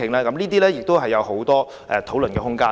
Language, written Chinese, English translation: Cantonese, 這些事項都有很多討論的空間。, There is much room for discussing these issues